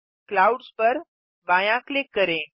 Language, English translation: Hindi, Left click Clouds